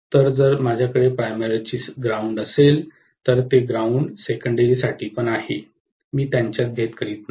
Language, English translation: Marathi, So, if I have a ground for primary, it is very much the ground for secondary also, I am not differentiating between them